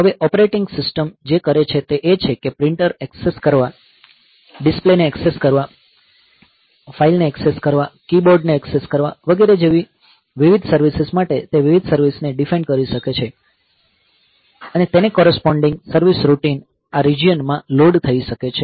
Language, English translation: Gujarati, Now, what the operating system does is that for different services like accessing printer, accessing display, accessing file, accessing keyboard, etcetera it may define different different services and this corresponding service routines may be loaded in this regions, fine